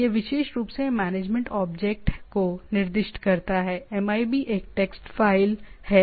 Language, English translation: Hindi, Is specific specifies the management object MIB is a text file